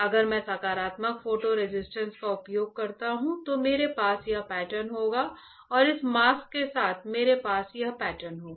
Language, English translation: Hindi, If I use positive photo resist, I will have this pattern and with this mask, I will have this pattern